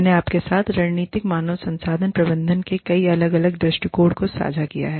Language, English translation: Hindi, I have shared, several different angles of strategic human resource management, with you